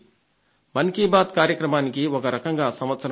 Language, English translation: Telugu, 'Mann Ki Baat' in a way has completed a year